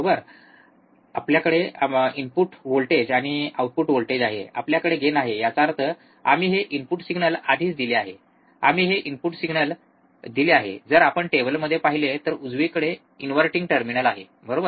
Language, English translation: Marathi, We have input voltage we have output voltage, we have gain; that means, we have given already this input signal, we have given this input signal, if you see in the table, right to the inverting terminal right